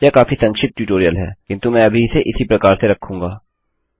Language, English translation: Hindi, Its a very brief tutorial but I will keep it like that at the moment